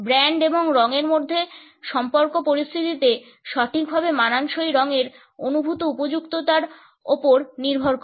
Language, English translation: Bengali, The relationship between brand and color hinges on the perceived appropriateness of the color being an exact fit for this situation